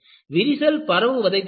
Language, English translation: Tamil, They prevent easy crack propagation